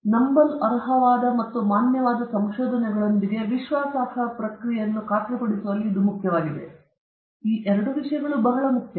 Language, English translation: Kannada, Again, this is important in ensuring a reliable process with trustworthy and valid findings these two things are very important